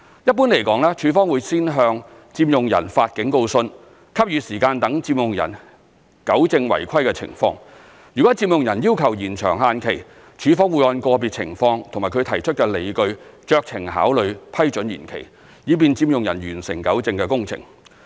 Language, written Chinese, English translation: Cantonese, 一般來說，署方會先向佔用人發警告信，給予時間讓佔用人糾正違規情況，若佔用人要求延長限期，署方會按個別情況及其提出的理據酌情考慮批准延期，以便佔用人完成糾正工程。, Generally speaking a warning letter will be issued to the occupant and time will be allowed for the occupant to rectify the irregularities . If the occupant requests for a deadline extension LandsD will exercise discretion in considering whether or not to grant approval for deadline extension to complete the rectification on a case - by - case basis subject to the reasons given by the occupant